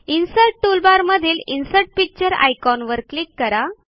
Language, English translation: Marathi, From the Insert toolbar,click on the Insert Picture icon